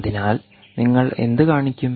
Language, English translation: Malayalam, so what would you show